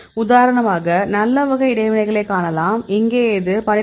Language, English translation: Tamil, And you can see the good type of interactions for example, here this is 12